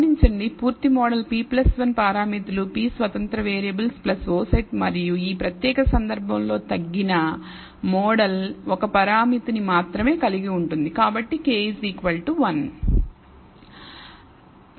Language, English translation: Telugu, Notice the full model as p plus 1 parameters p independent variable plus the o set and the reduced model in this particular case contains only 1 parameter, so, k equals 1 So, the degrees of freedom will be p